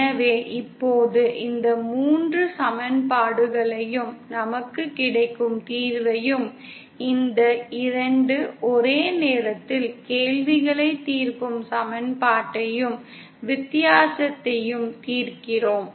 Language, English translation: Tamil, So now if we solve these 3 equations, the solution that we get, the equation that we get on solving these 2 simultaneously questions, the difference early question that we get is something like this